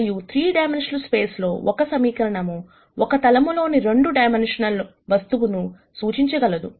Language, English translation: Telugu, And in a 3 dimensional space a single equation would represent a plane a 2 dimensional object